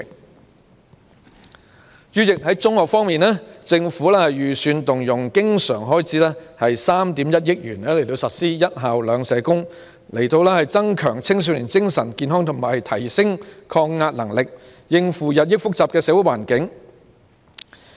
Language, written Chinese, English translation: Cantonese, 代理主席，在中學方面，政府預算動用經常性開支3億 1,000 萬元，實施"一校兩社工"，以增強青少年精神健康及提升抗壓能力，應付日益複雜的社會環境。, Deputy President in relation to secondary schools the Government will set aside 310 million recurrent expenditures to implement the measure of two school social workers for each school to enhance teenagers mental health and stress resilience and help them cope with the increasingly complex social environment